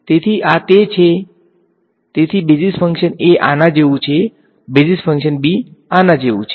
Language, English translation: Gujarati, So, this is where right so basis function a is like this, basis function b is like this